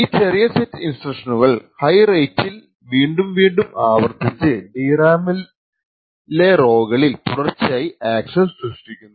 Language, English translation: Malayalam, So this small set of instructions is repeated over and over again at a very high rate thus posing continuous access to rows in the DRAM